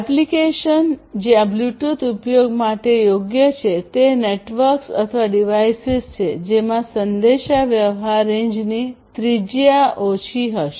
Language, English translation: Gujarati, Application where Bluetooth is suitable for use are networks or devices which will have smaller radius of small communication range